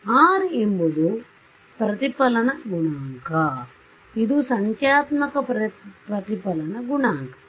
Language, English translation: Kannada, So, R is the reflection coefficient and this is remember the numerical reflection coefficient right